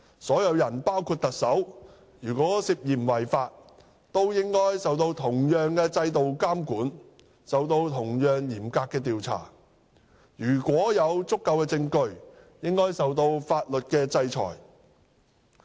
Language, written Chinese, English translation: Cantonese, 任何人，包括特首，如果涉嫌違法，均應受同樣的制度監管及同樣嚴格的調查，如果有足夠證據，應受法律制裁。, Any person alleged to have broken the law including the Chief Executive should be subject to monitoring by the same system and equally stringent investigation and to sanctions of law if the charge is substantiated